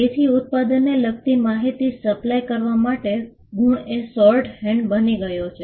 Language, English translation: Gujarati, So, marks became a shorthand for supplying information with regard to a product